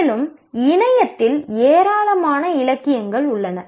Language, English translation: Tamil, And there is huge amount of literature on the internet